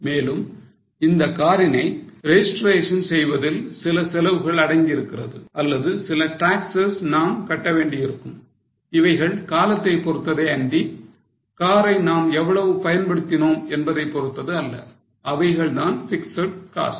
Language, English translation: Tamil, There will also be some costs involved in the registration of car or some taxes which you may have to pay which are time based, not based on how much is your use of car